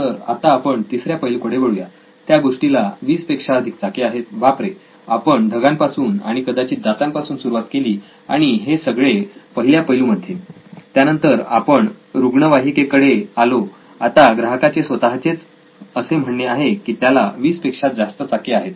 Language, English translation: Marathi, So let us go on to the third insight, it has more than 20 wheels oops, so we started with cloud and teeth maybe and all that in the first insight, then we came to ambulance now the customer himself says it has more than 20 wheels